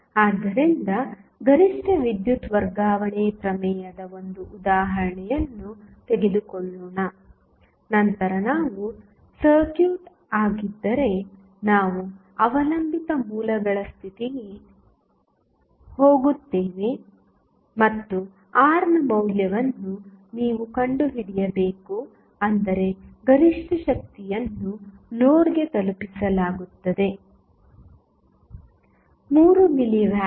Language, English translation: Kannada, So, let us take 1 example of maximum power transfer theorem then we will go to the dependent sources condition suppose if this is the circuit and you have to find out the value of R such that the maximum power is being delivered to the load is, 3 milli watt